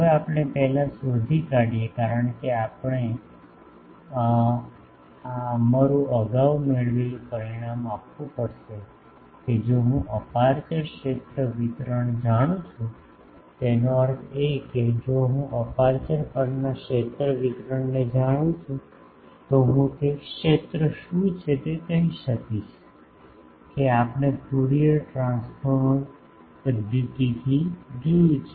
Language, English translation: Gujarati, Now, we first find out because, we will have to put our previously derived result that if I know the aperture field distribution; that means, if I know the field distribution on this aperture I will be able to say what is the field, that we have seen the by Fourier transformer method etc